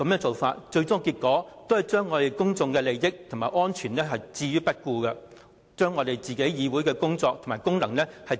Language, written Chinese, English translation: Cantonese, 最終的結果是，將公眾的利益和安全置之不顧，自廢立法會的功能。, Eventually the pro - establishment Members have disarmed the Legislative Council ignoring the interest and safety of the public